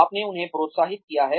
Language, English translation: Hindi, You have encouraged them